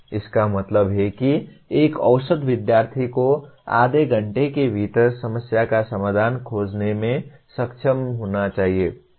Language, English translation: Hindi, That means an average student should be able to find the solution to a problem within half an hour